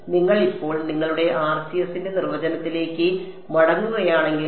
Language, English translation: Malayalam, So, if you go back now to the definition of your RCS